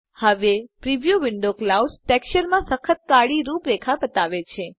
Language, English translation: Gujarati, now the preview window shows hard black outlines in the clouds texture